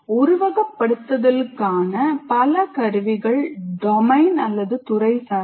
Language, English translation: Tamil, And many of these tools are domain specific